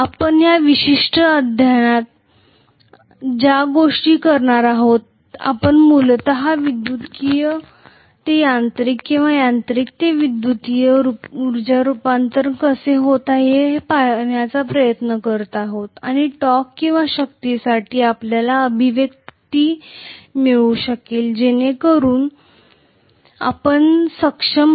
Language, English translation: Marathi, That is what we are going to in this particular chapter, we are essentially trying to look at how electrical to mechanical or mechanical to electrical energy conversion takes place and whether we can get an expression for the torque or force so that we would be able to utilize it later